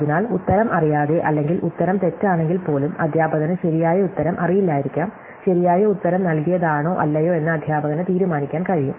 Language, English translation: Malayalam, So, even without knowing the answer or even if the answer is wrong, the teacher may not know the right answer, the teacher can decide whether or not the student as given the correct answer